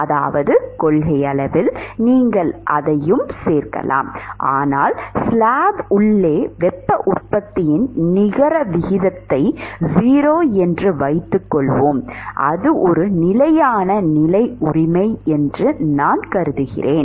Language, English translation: Tamil, I mean, in principle, you could include that also, but let us say to start with the net rate of heat generation inside the slab is 0 and if I assume that it is a steady state right